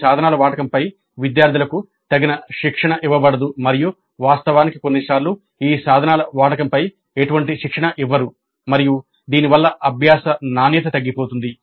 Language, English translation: Telugu, Students are not given adequate training on the use of these tools and in fact sometimes no training at all on the use of these tools and the learning quality suffers because of this